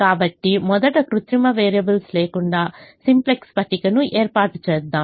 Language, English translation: Telugu, so let us first setup the simplex table without artificial variables